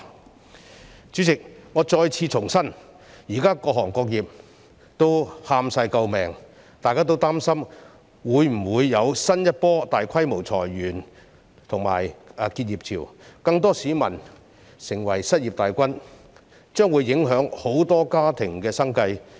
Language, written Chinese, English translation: Cantonese, 代理主席，我再次重申，現時各行各業皆叫苦連天，大家均擔心會否出現新一波大規模裁員潮和結業潮，令更多市民成為失業大軍，影響很多家庭的生計。, Deputy President I have to reiterate that all trades and industries are groaning about their plights at present . We are worried if there will be another wave of large - scale layoffs and closures causing more people to lose their jobs and affecting the livelihood of many families